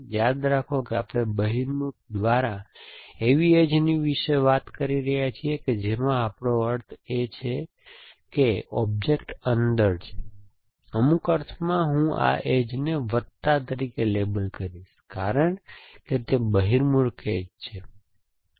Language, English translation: Gujarati, Remember, we are talking about an edge by convex, we mean that the matter or material is inside, in some sense I would label this edges plus because it is a convex edge